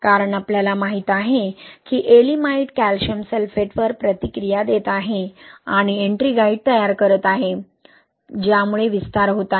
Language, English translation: Marathi, Because we know that Ye'elimite is reacting with calcium sulphate and forming Ettringite, that is causing expansion